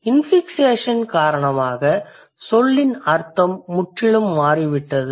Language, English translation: Tamil, Because of the infixation the meaning of the word has changed completely